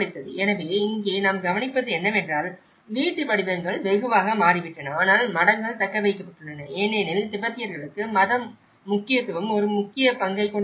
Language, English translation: Tamil, So, what we observe here is the house forms have changed drastically but monasteries has retained because the religious significance played an important role in the Tibetans